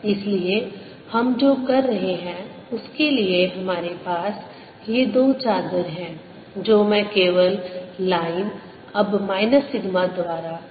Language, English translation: Hindi, so what we are doing is we have this two sheets which i am writing, just showing by line now, minus sigma, we have the electric field coming down